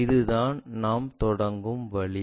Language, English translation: Tamil, This is the way we begin with